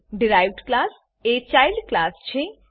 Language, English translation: Gujarati, The derived class is the child class